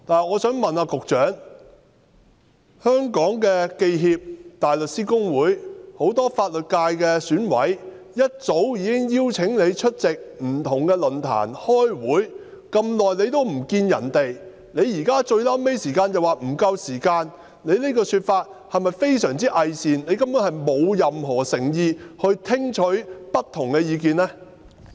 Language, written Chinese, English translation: Cantonese, 我想問局長，香港記者協會、香港大律師公會、選舉委員會很多法律界選委早已邀請局長出席不同論壇和開會，但局長在這麼長時間也沒有與他們會面，現在到最後才說時間不足，局長這種說法是否非常偽善，根本沒有任何誠意聽取不同的意見呢？, The Hong Kong Journalists Association the Hong Kong Bar Association and many members from the legal sector of the Election Committee have long invited the Secretary to attend various forums and meetings but the Secretary who did not meet them during this long period of time says at this final stage that there is not enough time . I would like to ask the Secretary whether he is very hypocritical in making this remark and is basically in lack of any sincerity in listening to different views